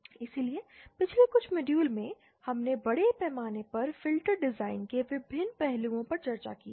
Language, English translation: Hindi, So in over all in past few modules we had extensively discussed the various aspects of filter design